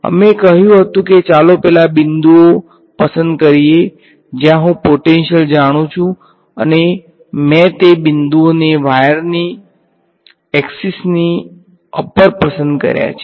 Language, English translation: Gujarati, We had said let us choose those points, where I know the potential and I chose those points to be along the axis of the wire right